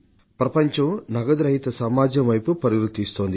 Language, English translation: Telugu, The whole world is moving towards a cashless society